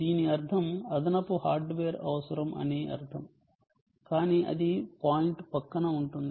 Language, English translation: Telugu, of course, this would mean that an additional piece of hardware is required, but thats beside the point